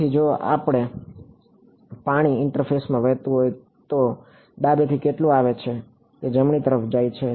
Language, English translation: Gujarati, So, if this water flowing across in the interface, how much comes from the left that much goes into the right